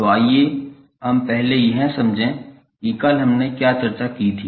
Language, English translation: Hindi, So, let us first understand what we discussed yesterday